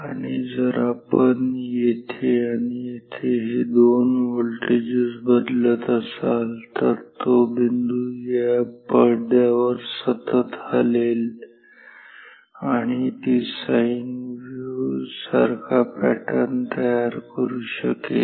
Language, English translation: Marathi, And, if you are changing these 2 voltages here and here, then that spot will move continuously on this screen and that can generate patterns like sine wave etcetera